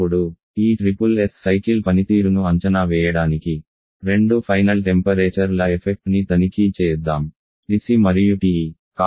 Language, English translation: Telugu, Now, to evaluate the performance of these SSS cycle let us check the effect of the two N temperature TC and TE